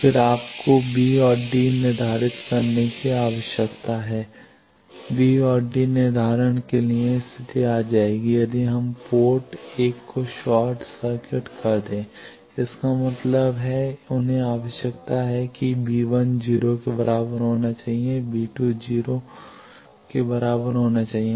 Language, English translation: Hindi, Then you need to determine B and D the condition for B and D determination will come if we short circuit port one; that means, they require that V 1 should be equal to 0 not V 2 is equal to 0 port sorry port 2 is short circuit